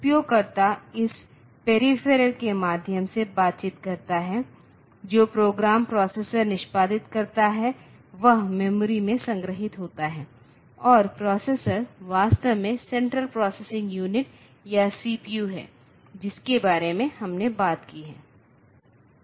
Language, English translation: Hindi, So, the user interacts via this peripherals and the program that does the processor is executing is stored in the memory, and the processor is actually the central processing unit or CPU that we have talked about